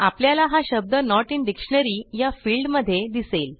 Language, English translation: Marathi, So we see the word in the Not in dictionary field